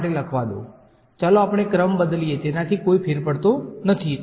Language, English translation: Gujarati, Let me write for path 3, let us just change the order it does not matter